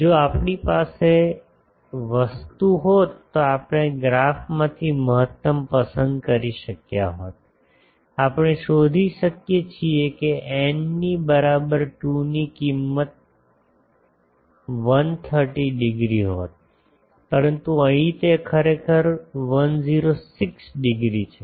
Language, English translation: Gujarati, If we had our thing then we could have chosen from the graph to maximise eta i eta s, we can find for n is equal to 2 that value would have been 130 degree, but here it is actually 106 degree